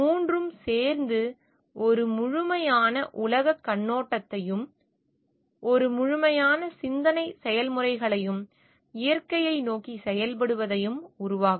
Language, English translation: Tamil, All 3 together will give rise to an holistic worldview and a holistic a thought process and action towards the nature at large